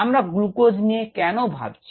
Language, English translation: Bengali, why are we looking at glucose